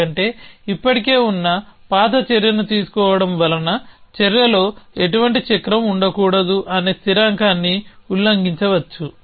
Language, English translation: Telugu, Because taking an old action existing action may actually violated the constant that the should be no cycle in the action